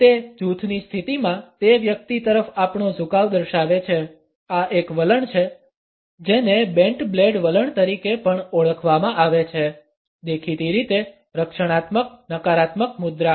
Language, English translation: Gujarati, It shows our leanings towards that individual in a group position; this is a stance which is also known as the bent blade stance is; obviously, a defensive a negative posture